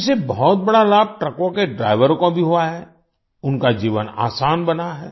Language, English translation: Hindi, Drivers of trucks have also benefited a lot from this, their life has become easier